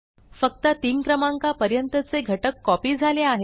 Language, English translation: Marathi, Only the elements till index 3 have been copied